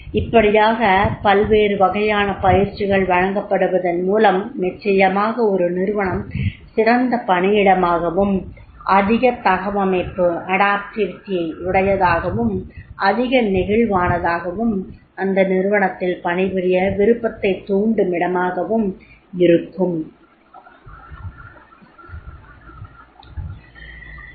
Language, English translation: Tamil, If these type of the possible trainings are provided then definitely that organization will be more great workplace, more adoptive, more flexible and more a place to love work with that particular organization